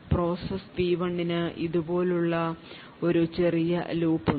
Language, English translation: Malayalam, Now, process P1 has a small loop which looks something like this